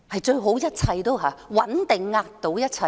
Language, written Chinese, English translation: Cantonese, 鄧小平說："穩定壓倒一切"。, DENG Xiaoping said Stability overrides everything